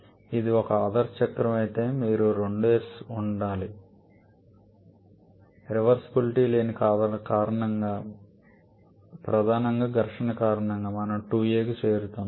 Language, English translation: Telugu, Had it been an ideal cycle you should have got 2s, but because of the presence of irreversibilities primarily because of friction, we are reaching 2a